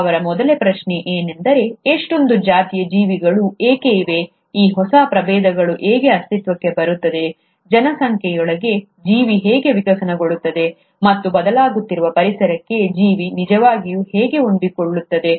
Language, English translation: Kannada, His first question was why there are so many species of living things, how do these new species come into existence, within a population, how does an organism evolve, and how does an organism really adapt itself to the changing environment